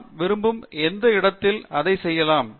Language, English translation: Tamil, And we can do that at any location we wish